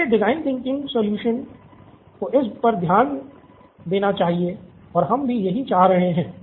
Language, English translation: Hindi, So the design thinking solution should address this and this is what we are seeking